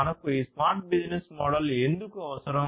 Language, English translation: Telugu, Why do we need a smart business model